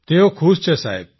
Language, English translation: Gujarati, Everyone is happy Sir